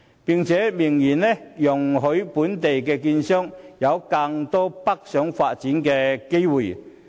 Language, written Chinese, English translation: Cantonese, 該協議更明言容許本地券商有更多北上發展的機會。, The Ecotech Agreement further states that Hong Kong securities dealers will be given more opportunities to develop in the Mainland